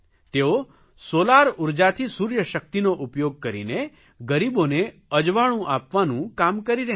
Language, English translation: Gujarati, She is utilizing the Solar Energy of the Sun to illuminate the houses of the poor